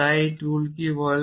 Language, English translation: Bengali, So, what does this tool say